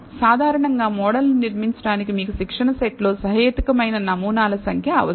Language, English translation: Telugu, Typically, you need reasonable number of samples in the training set to build the model